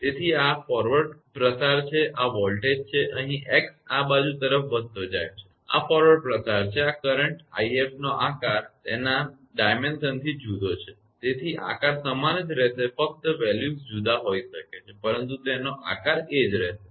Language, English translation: Gujarati, So, this is a forward propagation this is voltage here this is x is increasing for this side right and this is forward propagation this is i f the current right shape by your dimension different, but shape is remaining same values may be different shape is remain same